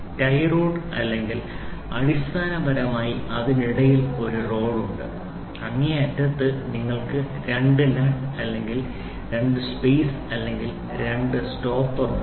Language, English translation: Malayalam, Tie rods are basically there is a rod in between and the extreme ends you have two nuts or two spaces or two stoppers